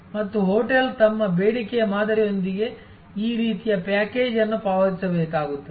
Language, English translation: Kannada, And the hotel will have to pay this kind of package with their demand pattern